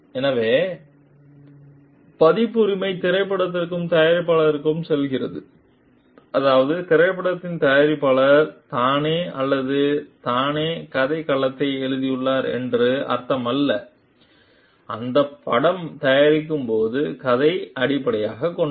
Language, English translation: Tamil, So, and then the copyright like passes on to the producer of the movie, that does not mean the producer of the movie has himself or herself authored the storyline authored, the a story based on which this movie is going to be made